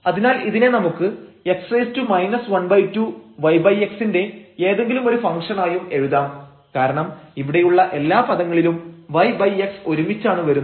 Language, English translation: Malayalam, So, this we can write down as x power minus half and some function of y over x because in all these terms y over x comes together